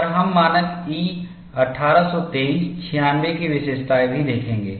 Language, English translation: Hindi, And we will also see features of standard E 1823 96